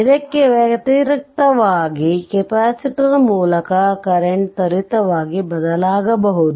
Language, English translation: Kannada, So, conversely the current to a capacitor can change instantaneously